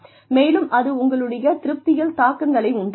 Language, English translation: Tamil, And, that can have implications for your satisfaction